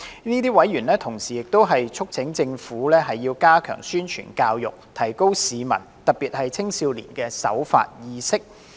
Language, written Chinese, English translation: Cantonese, 這些委員並同時促請政府加強宣傳教育，提高市民特別是青少年的守法意識。, These members also called on the Government to step up publicity and education efforts with a view to enhancing the law - abiding awareness of members of the public especially young people